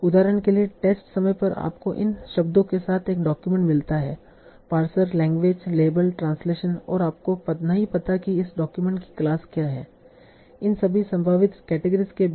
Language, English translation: Hindi, So for example at test time you get a document with these words, parser, language, label, translation and you do not know what is the class of this document among all these possible categories